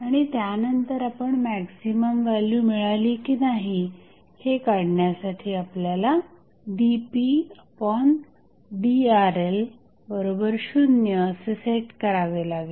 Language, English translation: Marathi, Now, for finding out whether you have maximum or minimum at 1 particular point you have to set the value of dp by dRl equal to 0